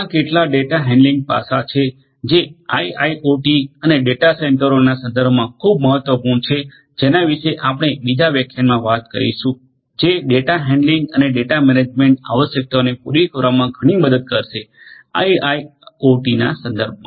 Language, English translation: Gujarati, These are some of the data handling aspects that are very important in the context of IIoT and data centres which we are going to talk about in another lecture is going to help a lot in catering to these data handling and data management requirements that are there in the context of IIoT